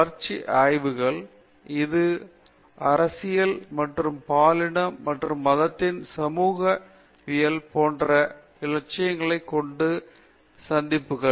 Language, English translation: Tamil, In the developmental studies, the intersections with this with ideals like politics and gender and sociology of religion